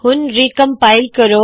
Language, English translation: Punjabi, Let me now recompile